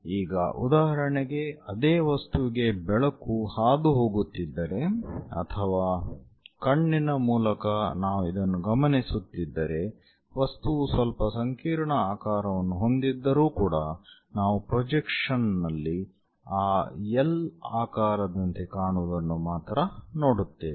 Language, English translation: Kannada, So, for example, for the same object if light is passing or through the eye if we are observing for this, though the object might be slightly having complicated shape, but we will see only like that L shape for the projection